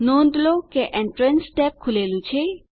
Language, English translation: Gujarati, Notice that the Entrance tab is open